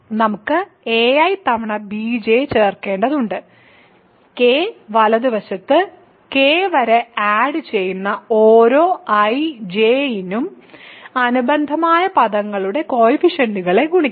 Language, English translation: Malayalam, So, we have to add a i times b j, we have to multiply the coefficients of the corresponding terms for every i, j which add up to k right